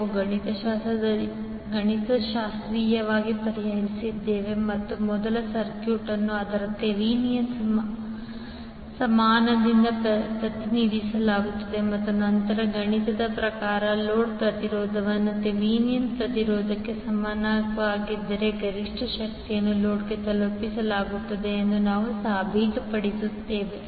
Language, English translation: Kannada, We solved mathematically and saw that the first the circuit is represented by its Thevenin equivalent and then mathematically we prove that maximum power would be deliver to the load, if load resistance is equal to Thevenin resistance